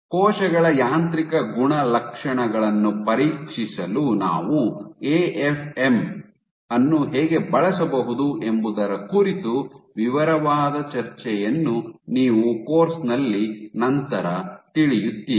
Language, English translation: Kannada, So, later in the course you will have a detailed discussion of how we can use AFM for probing mechanical properties of cells